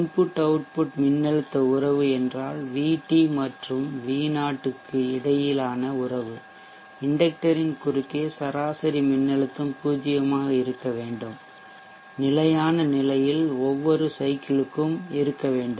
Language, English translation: Tamil, The input output voltage relationship means relationship between V T and V0 we will use property that the average voltage across the inductor should be zero cycle by cycle in the steady state